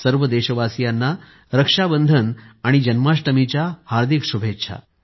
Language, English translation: Marathi, Heartiest greetings to all countrymen on the festive occasions of Rakshabandhanand Janmashtami